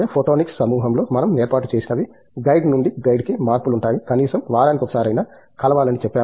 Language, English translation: Telugu, What we have set up in the photonics group is of course, changes from guide to guide but, at least we say once in a week is the minimum